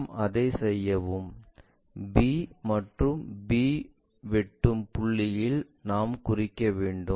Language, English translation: Tamil, And when we are doing that these are the intersection points b with b we have to locate, b with b is here